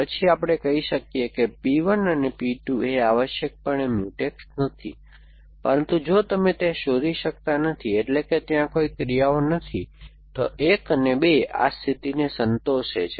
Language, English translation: Gujarati, Then we can say P 1 P 2 are not Mutex essentially, but if you cannot find, so in there are no actions, a 1 and a 2 is satisfy this condition then we say that they are Mutex essentially